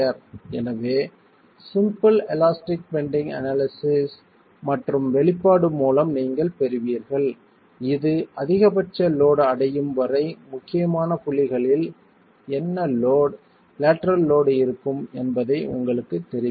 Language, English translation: Tamil, And so you get by simple elastic bending analysis an expression that will tell you what the load, the lateral load would be at critical points of loading till the maximum load is reached